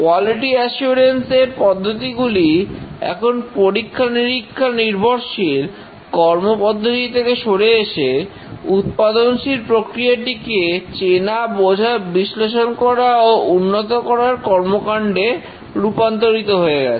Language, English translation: Bengali, The quality assurance techniques have shifted from just testing based techniques to recognizing, defining, analyzing and improving the production process